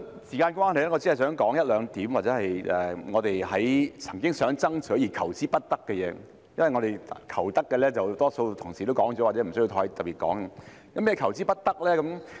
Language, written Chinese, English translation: Cantonese, 時間關係，我只是想提出一兩點，是我們曾經爭取但求之不得的地方，因為我們求得的，多數同事已經提及，或者不需要再特別提出。, Due to the time constraint I would just raise one or two points which are related to issues that we have fought for but failed to achieve . It is because a majority of colleagues have already mentioned what we have achieved so it may not be necessary to bring them up specifically